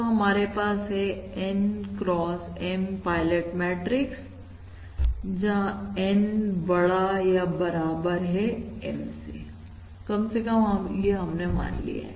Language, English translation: Hindi, So we have N x M pilot matrix where N is greater than equal to M